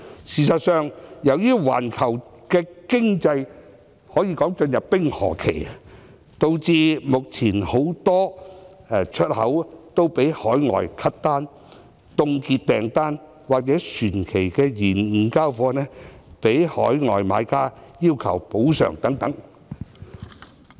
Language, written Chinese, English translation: Cantonese, 事實上，由於環球經濟可說已進入冰河期，導致目前很多海外國家取消訂單、凍結訂單，或船期延誤交貨，被海外買家要求補償等。, In fact as the global economy has entered an ice age many overseas countries have cancelled or suspended their orders shipment of goods has been delayed and overseas buyers have demanded compensation